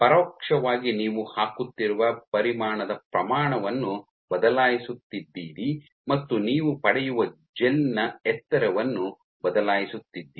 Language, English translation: Kannada, So, what indirectly you are changing by changing the amount of volume that you are putting is you are changing the height of the gel that you get